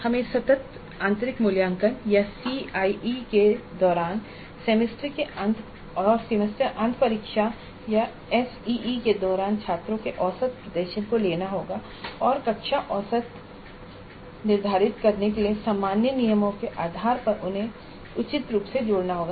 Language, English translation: Hindi, We have to take the average performance of the students during the internal evaluation or continuous internal evaluation or CIE and during the semester and examination or ACE and combine them appropriately based on the university regulations to determine the class average